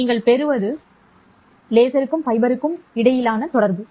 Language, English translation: Tamil, And what you get is the connection between laser and the fiber